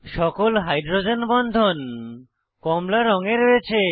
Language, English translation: Bengali, On the panel, we have all the hydrogen bonds in orange color